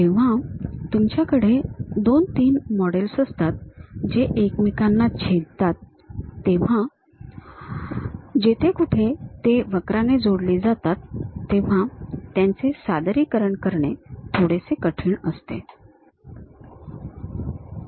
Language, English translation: Marathi, When you have two, three models which are intersecting with each other; they representing these curves contacts becomes slightly difficult